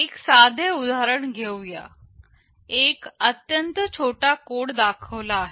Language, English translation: Marathi, Let us take a simple example here; a very small code segment is shown